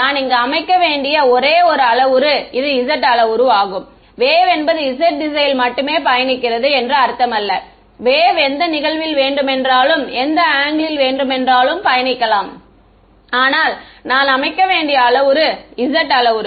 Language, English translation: Tamil, The only parameter that I had to set over here was the z parameter this does not mean that the wave is travelling only along the z direction the wave is incident at any angle, but the parameter that I need to set is the z parameter